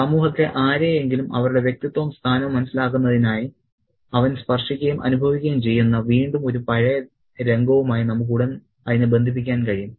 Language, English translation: Malayalam, And we can immediately make the connection to an earlier scene where he again touches and feels somebody to understand to get a sense of their identity and place in society